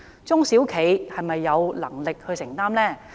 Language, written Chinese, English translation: Cantonese, 中小企是否有能力承擔呢？, Are these measures affordable to small and medium enterprises?